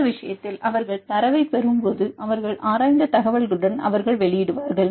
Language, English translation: Tamil, In this case when they get the data they will publish with their information they will publish